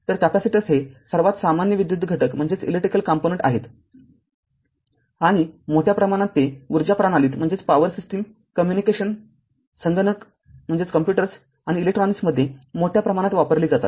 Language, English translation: Marathi, So, capacitors are most common electrical component and are used extensively in your power system, communication computers and electronics